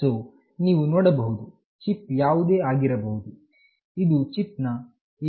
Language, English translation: Kannada, So, you see that whatever is the chip this is for the chip area, and this is the SIM900